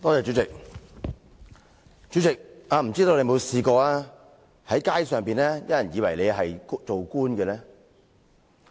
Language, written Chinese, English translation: Cantonese, 主席，我不知道你曾否在街上被誤以為是官員呢？, President I wonder if you have ever been mistaken for a government official in the street